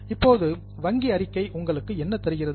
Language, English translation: Tamil, Now, what does the bank statement give you